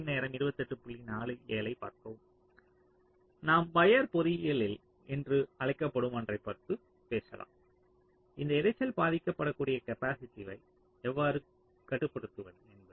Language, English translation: Tamil, that means you can talk about something called wire engineering, like: how do i control this capacitive affects, then this noise